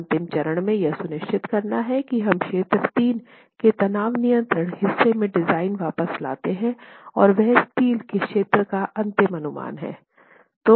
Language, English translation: Hindi, So, the last step here is to ensure that we bring the design back into the tension control portion of region 3 and that is your final estimate of area of steel itself